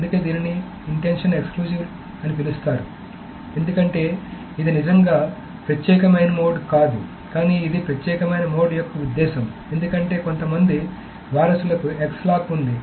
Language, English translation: Telugu, So that is why this is called an intention exclusive because this is really not an exclusive mode but it is an intent of an exclusive mode because some descendant has a X lock